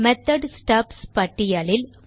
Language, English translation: Tamil, And in the list of method stubs